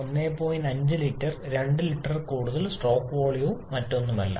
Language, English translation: Malayalam, 5 litre engine more than 2 litre engines for SUV’s they are stroke volume and nothing else